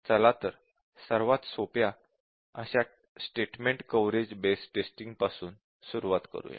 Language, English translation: Marathi, So, let us start looking at the simplest one, which is the statement coverage based testing